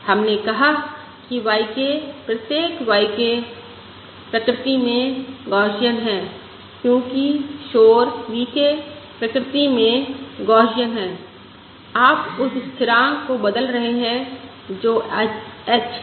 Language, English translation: Hindi, We said that y k, each y k, is Gaussian in nature because the noise V k is Gaussian in nature